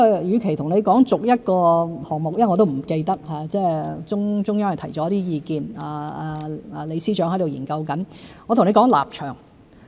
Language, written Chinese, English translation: Cantonese, 與其逐一說出每個項目——我也不完全記得，中央提了一些意見，李司長正在研究——不如我說立場。, Instead of going through the items one by one which I do not fully remember―the Central Authorities have expressed some views and Chief Secretary LEE is conducting studies in this regard―I would like to state my position here